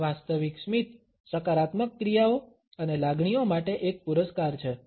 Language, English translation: Gujarati, Genuine smiles are a reward for positive actions and feelings